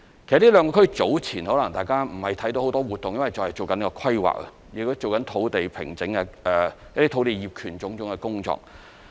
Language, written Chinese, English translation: Cantonese, 這兩個區早前可能大家未有看見很多活動，因為仍在進行規劃，亦在進行相關的土地平整、土地業權種種的工作。, Perhaps Members have not yet seen any development activities as they are still at the planning stage . But at the same time certain formalities concerning land formation works and land titles are underway